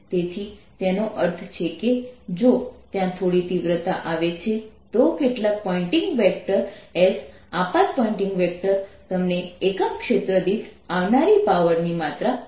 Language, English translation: Gujarati, so that means, if there is some intensity coming in some pointing vector, s incident pointing vector gives you the amount of power coming per unit area